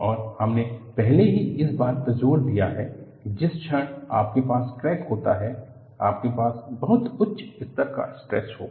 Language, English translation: Hindi, And, we have already emphasized that the moment you have a crack, you will have very high level of stresses